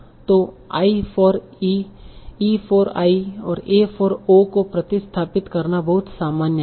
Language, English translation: Hindi, So, substituting I for E, E for I, A for O, they are very, very common